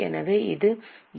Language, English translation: Tamil, So what it can be